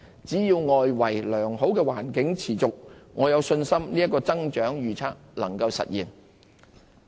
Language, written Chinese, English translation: Cantonese, 只要良好的外圍環境持續，我有信心這個增長預測能夠實現。, As long as the favourable external environment continues I am confident that my growth forecast will be achieved